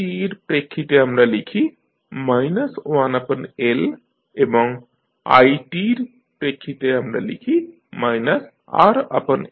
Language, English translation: Bengali, So, ec against ec we write minus 1 by L and against i t we write minus R by L